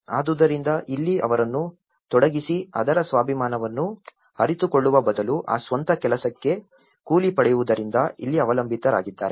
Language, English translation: Kannada, So, here, instead of making them involved and realize the self esteem character of it, here, they have become dependent because they are getting paid for that own work